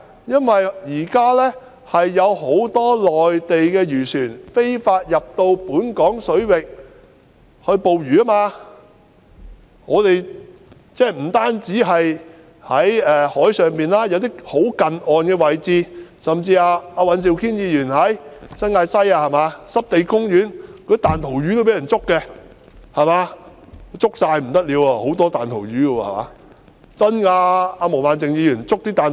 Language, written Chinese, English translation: Cantonese, 現時有很多內地漁船非法進入本港水域捕魚，不單在海上作業，有些更在近岸的位置活動，甚至在尹兆堅議員所屬的新界西，濕地公園裏的彈塗魚也被人捉去，那裏有很多彈塗魚，全都被捉去便不得了。, They conduct operations not only at sea but they even carry out inshore activities . Even in Mr Andrew WANs New Territories West constituency mudskippers in the Wetland Park have been poached . A lot of mudskippers can be found there and it would be disastrous if all of them are poached